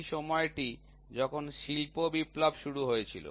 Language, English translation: Bengali, So, that was that time when industrial revolution started